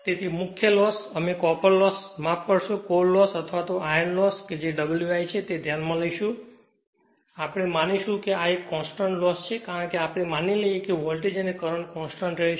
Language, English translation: Gujarati, So, major losses, we will consider copper loss sorry core loss or iron loss that is W i, we will assume this is a constant loss because, we assume that voltage and frequency will remain constant